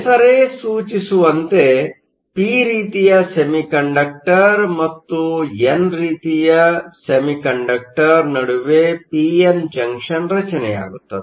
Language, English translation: Kannada, As the name implies, a p n junction is formed between a p type semiconductor and an n type semiconductor